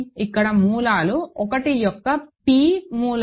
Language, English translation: Telugu, Here, we are roots are p th roots of 1